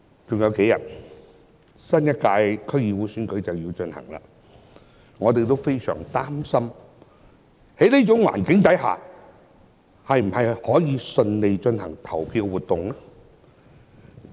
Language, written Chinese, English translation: Cantonese, 只餘下數天，新一屆區議會選舉便要進行，我們也非常擔心在這種環境下，是否仍能順利進行投票活動？, There are only a few days left before the election for a new DC term will be held and we are very much concerned about whether polling activities can be held smoothly under such circumstances